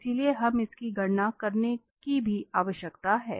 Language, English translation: Hindi, So, we need to compute this as well